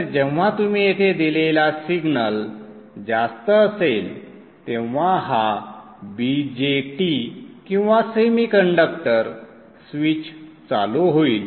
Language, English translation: Marathi, So this is a signal that you would give here when the signal is high, this BGAT or the bar semiconductor switch will turn on